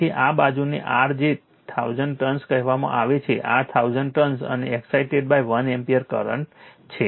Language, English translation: Gujarati, So, this side your, what you call 1000 turn, this is 1000 turn and excited by 1 ampere current right